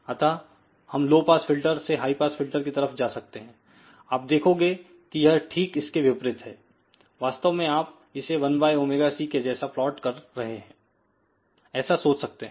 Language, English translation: Hindi, So, from low pass filter we can just shift to the high pass filter, you can see that it is a reverse of that in fact, you can actually think about plotting as 1 by omega c